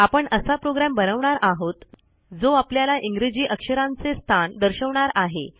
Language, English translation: Marathi, I will create a program that lets you see the position of a letter in the English alphabet